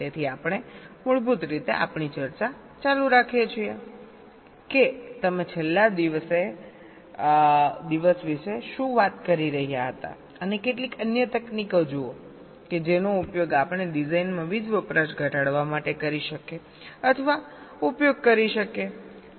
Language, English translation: Gujarati, so we we basically continue with our discussion, what you are talking about last day, and look at some other techniques that we can employ or use for reducing the power consumption in design